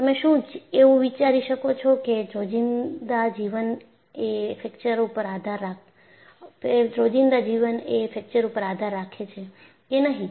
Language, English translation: Gujarati, Can you think of very simple day to day living depends on fracture